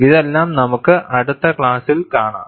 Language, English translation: Malayalam, All these, we would see in the next class